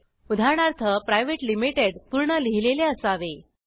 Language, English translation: Marathi, Private Limited should be written in full